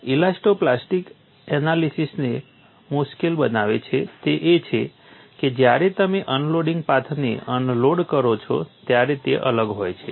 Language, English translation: Gujarati, What makes elasto plastic analysis difficult is that when you unload, the unloading path is different